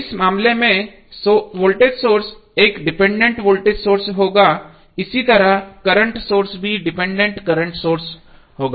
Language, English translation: Hindi, In this case voltage source would be dependent voltage source similarly current source would also be the dependent current source